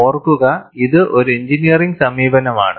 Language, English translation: Malayalam, Mind you, it is an engineering approach